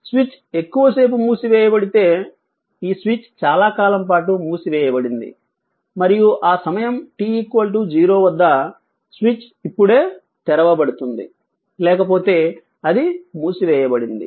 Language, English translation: Telugu, If the switch is closed for long time means, this switch was closed for long time right and that t your what you call t is equal to 0, the switch is just opened otherwise it was close